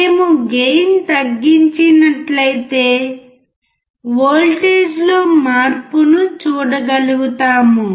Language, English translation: Telugu, If we reduce the gain, we will able to see the change in the voltage